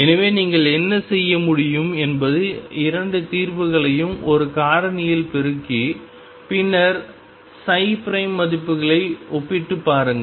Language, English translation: Tamil, So, what you could do is match the 2 solutions was by multiplying by a factor and then compare the psi prime values